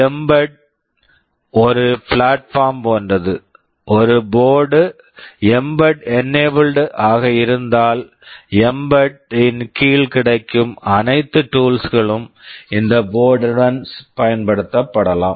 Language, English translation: Tamil, Well, mbed is like a platform; if a board is mbed enabled then all the tools that are available under mbed can be used along with this board